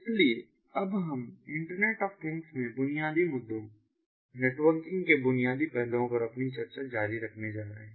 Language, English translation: Hindi, so we are now going to continue our discussions on the basic issues, basic aspects of the networking in internet, of things